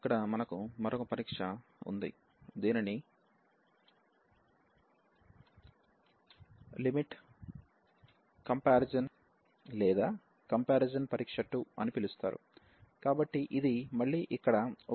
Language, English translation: Telugu, So, here we have another test which is called the limit comparison test or the comparison test 2, so this is again a useful test here